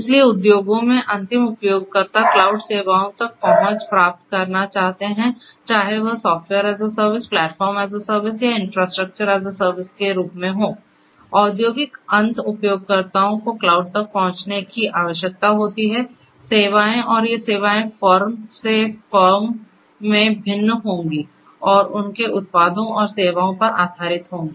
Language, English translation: Hindi, So, end users in the industries would like to get access to the cloud services whether it is Software as a Service, Platform as a Service, Infrastructure as a Service, they need the industrial end users need access to the cloud services and these services will differ from firm to firm and are based on their products and services